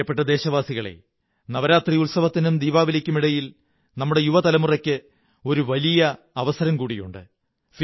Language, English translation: Malayalam, My dear countrymen, there is a big opportunity for our younger generation between Navratra festivities and Diwali